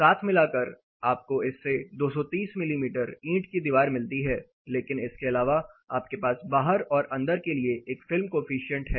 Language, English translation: Hindi, Together this gets you 230 mm brick wall, but apart from this you have a film coefficient out and film coefficient in